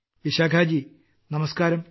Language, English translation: Malayalam, Vishakha ji, Namaskar